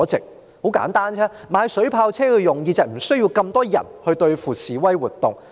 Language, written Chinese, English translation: Cantonese, 這是很簡單的，購買水炮車的目的，就是警方無須派那麼多人對付示威活動。, It is very simple . Water cannon vehicles have been purchased so that the Police need not deploy so much manpower to deal with demonstrations